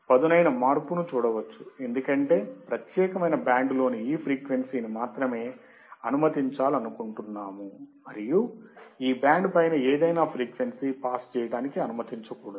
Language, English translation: Telugu, The sharp change can be seen because we want to only allow the frequency within this particular band; and any frequency above this band, should not be allowed to pass